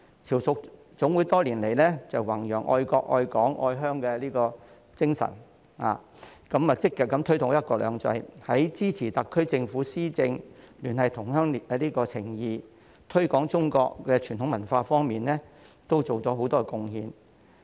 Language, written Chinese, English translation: Cantonese, 潮屬總會多年來弘揚"愛國愛港愛鄉"的精神，積極推動"一國兩制"，在支持特區政府施政、聯繫同鄉情誼、推廣中國傳統文化方面，都作出了很多貢獻。, By promoting the spirit of love for Hong Kong the country and homeland and actively promoting one country two systems throughout these years FHKCCC has contributed substantially in supporting the governance of the SAR Government cultivating friendship among fellow townsmen as well as promoting traditional Chinese culture